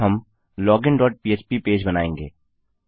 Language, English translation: Hindi, Now, well create the login dot php page